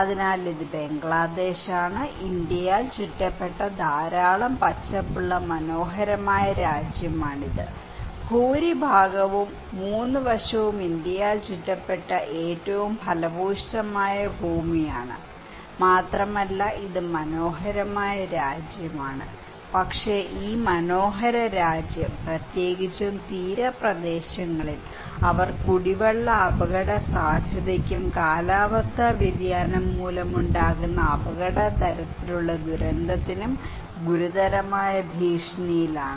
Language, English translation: Malayalam, So, this is Bangladesh, a beautiful country with a lot of greens surrounded by India, most of the part, three sides are surrounded by India with one of the most fertile land and also is this is a beautiful country and but this beautiful country particularly, in the coastal areas, they are under serious threat of drinking water risk and climate change induced risk kind of disaster